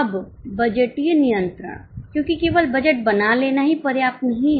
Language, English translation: Hindi, Now budgetary control because only setting up of budget is not enough